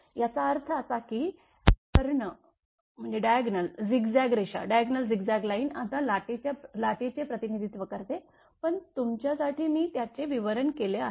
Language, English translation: Marathi, That means, that the diagonal zigzag line represent the wave now I am explain everything, but for you it is right up is here